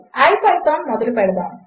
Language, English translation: Telugu, Lets start ipython